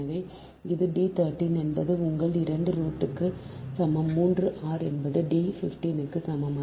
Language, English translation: Tamil, so this is: d one, three is equal to your two root three r is equal to d one, five, right